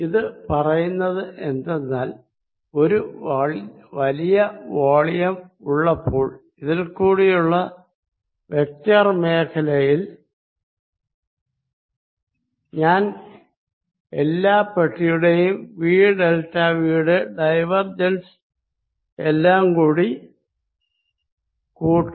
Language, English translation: Malayalam, What it says, is that given a volume large volume and vector field through this I did this summation divergence of v delta v over all boxes